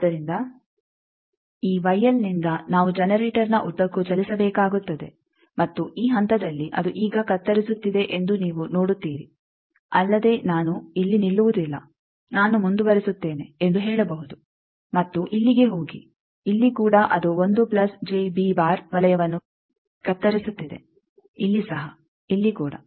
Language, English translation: Kannada, So, from this Y L we will have to move along the generator and you see at this point it is cutting now, also I can say no I will continue I will not stop here and go here, here also it is cutting this is the 1 plus J B circle, here also, here also